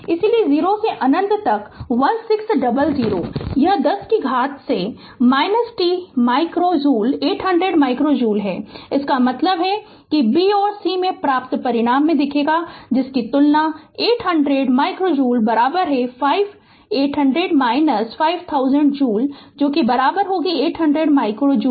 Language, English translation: Hindi, Therefore 0 to infinity 1600 it is 10 to the power minus 2 t micro joule 800 micro joule right; that means, comparing the result obtained in b and c shows, 800 micro joule is equal to 5800 minus 5000 joule is equal to 800 micro joule